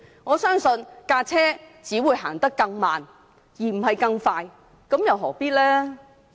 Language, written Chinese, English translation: Cantonese, 我相信車輛只會走得更慢而不是更快，這樣又何必呢？, I believe the car will only run slower not faster so what is the point?